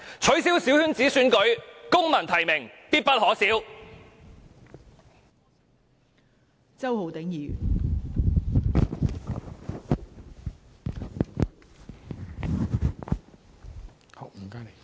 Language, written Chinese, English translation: Cantonese, 取消小圈子選舉，公民提名，必不可少。, It is essential to abolish small - circle elections and implement civic nomination